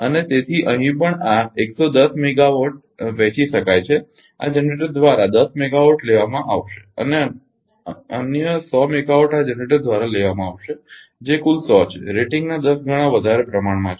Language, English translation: Gujarati, So, here also this 110 megawatt can be divided that 10 megawatt will be picked up by this generator and another 100 megawatt will be picked up by this generator the total is one 110 times more has been proportion to the rating right